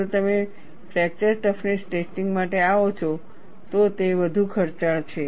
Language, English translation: Gujarati, If you come to fracture toughness testing is much more expensive